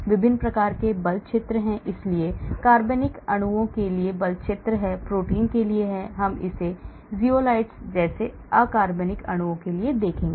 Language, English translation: Hindi, There are different types of force field, so there are force fields for organic molecules, for proteins, we will look at it for say inorganic molecules like zeolites